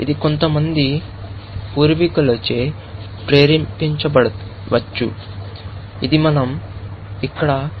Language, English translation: Telugu, It can be induced by some ancestor, of course, which is what, we have said here, explicitly